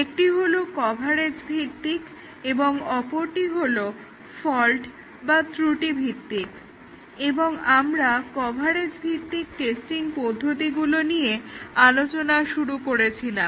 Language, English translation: Bengali, One is coverage based and the other is fault based and we started looking at the coverage based testing techniques